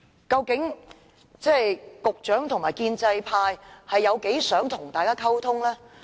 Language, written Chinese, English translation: Cantonese, 究竟局長和建制派有多想與大家溝通呢？, How much do the Secretary and the pro - establishment camp want to communicate with us?